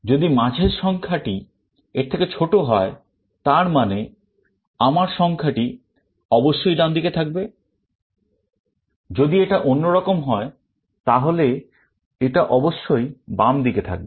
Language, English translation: Bengali, If I find the middle element is less than that, it means my element must be on the right hand side, or if it is other way around, then it must be on the left hand side